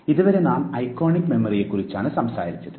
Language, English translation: Malayalam, Till now we have talked about iconic memory